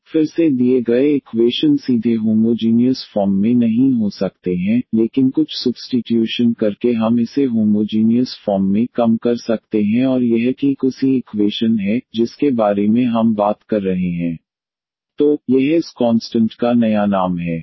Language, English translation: Hindi, So, again the given equation may not be in the homogeneous form directly, but by doing some substitution we can reduce it to the homogeneous form and this is exactly the equation we are talking about the dy over dx is equal to ax plus by plus c and divided by this a prime here